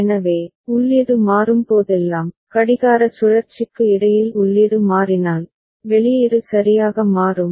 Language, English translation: Tamil, So, whenever input changes, in between a clock cycle if the input changes, so output will be changing ok